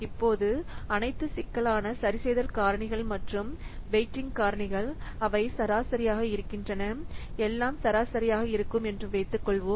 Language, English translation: Tamil, So, all the complexity adjustment factors are avaraged as well as these weighting factors they are average